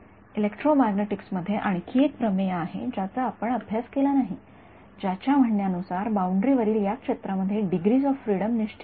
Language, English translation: Marathi, There is another theorem in electromagnetics which we have not studied which says that the fields I mean the degrees of freedom in this field on the boundary is fixed